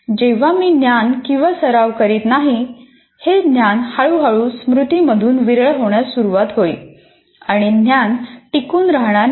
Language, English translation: Marathi, When I am not using that knowledge or practicing, it will slowly start fading from the memory